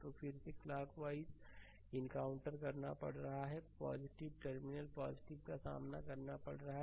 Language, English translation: Hindi, So, again encountering clock wise it is going encountering plus terminal plus